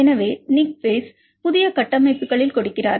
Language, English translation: Tamil, So, Nick Pace gives in the new state structures